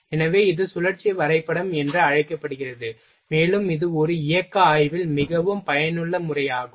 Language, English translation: Tamil, So, this is called known as cycle graph, and this is very useful method in a motion study